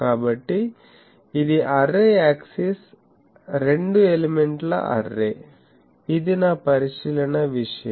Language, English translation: Telugu, So, this is the array axis two element array this is my observation thing